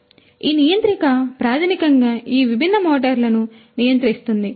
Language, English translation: Telugu, So, this controller basically controls all these different motors